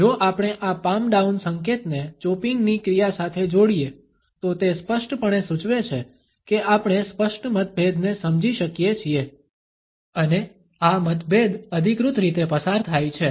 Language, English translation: Gujarati, If we associate this palm down gesture with a chopping action, then it indicates as we can, obviously, understand an emphatic disagreement and this disagreement is passed on in an authoritative manner